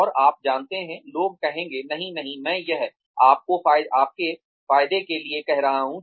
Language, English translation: Hindi, And you know, people will say, no no, I am doing this for your benefit